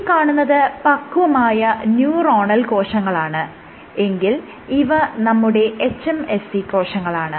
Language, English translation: Malayalam, So, this is matured neuronal cells, these are your hMSCs